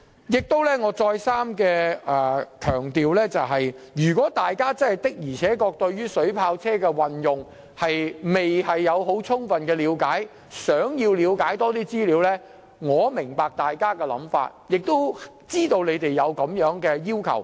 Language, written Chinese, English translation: Cantonese, 我再次強調，如果大家對於水炮車的運用未有充分了解，因而希望索取更多資料，我能夠明白，亦知道大家有此要求。, I would like to emphasize once again I understand that those Members who do not have adequate knowledge of the utilization of water cannon vehicles want to have more information on the subject . I also know that Members have such a request